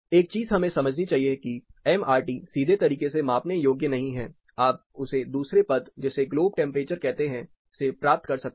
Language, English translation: Hindi, One thing we must understand MRT as a parameter it is not directly measurable mostly you actually determine it or derive it using another term called globe temperature